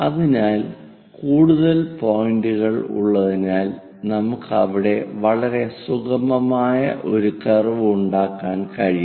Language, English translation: Malayalam, So, having many more points, we will be going to have a very smooth curve there